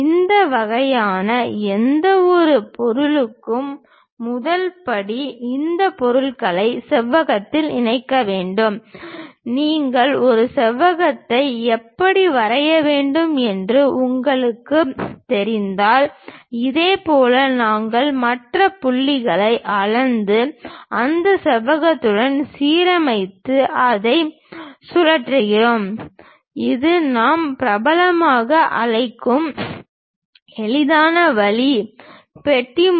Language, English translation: Tamil, First step for any of these kind of objects enclose these objects in rectangle if you are knowing how to draw a rectangle, similarly we measure the other points and align with that rectangle and rotate it that is the easiest way which we popularly call as box method